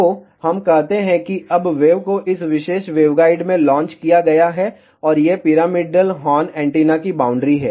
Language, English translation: Hindi, So, let us say now the wave is launched in this particular waveguide, and these are the boundaries of the pyramidal horn antenna